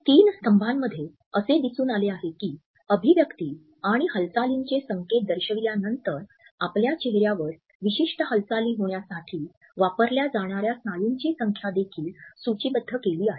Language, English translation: Marathi, In the three columns, we find that after having listed the expression and the motion cues, the number of muscles which have been used for producing a particular motion on our face are also listed